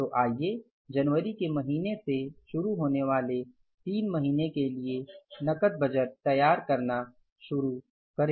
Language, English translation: Hindi, So let's start preparing the cash budget for the three months starting with the month of January